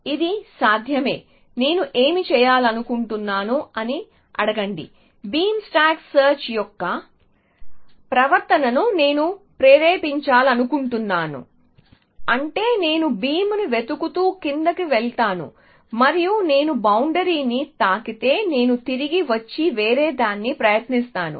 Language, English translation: Telugu, So, it is possible, so let me ask I want to do, I want to stimulate the behaviour of beam stack search which means I will go down searching down the beam and if I hit the boundary I will come back and try something else